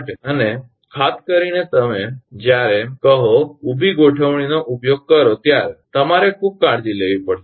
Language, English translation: Gujarati, And particularly when you are using say vertical configuration, you have to be very careful